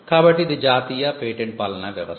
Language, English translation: Telugu, So, this is the national patent regime